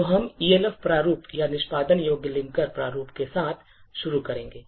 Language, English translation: Hindi, So, we will start with the Elf format or the Executable Linker Format